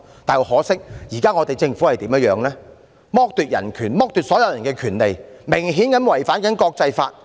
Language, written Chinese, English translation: Cantonese, 但很可惜，現時政府剝奪人權、剝奪所有人的權利，明顯地違反國際法。, Very unfortunately the current Government has deprived human rights and the rights of everyone in its blatant contravention of international laws